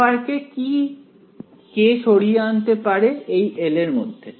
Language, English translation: Bengali, Can this f of r move across this L